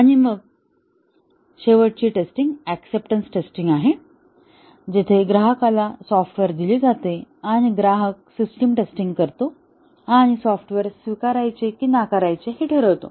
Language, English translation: Marathi, And then the final is the acceptance testing, where the customer is given the software and the customer carries out the system testing and decide whether to accept the software or reject it